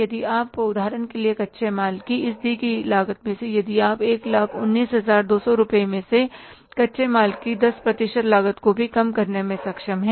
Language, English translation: Hindi, If you, for example, from this given cost of raw material, if you are able to reduce even the 10% cost of the raw material, out of 1